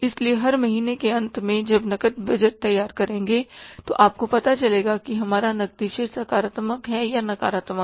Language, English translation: Hindi, So, at the end of every month while preparing the cash budget you will come to know our cash balance is positive or negative